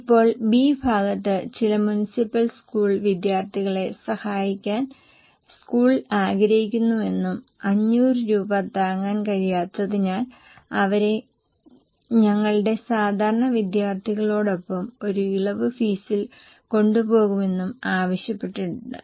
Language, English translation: Malayalam, Now in B part it has been asked that school wants to help out some municipal school students and they would be taken with our normal students at a concessional fee because they may not be able to afford 500 rupees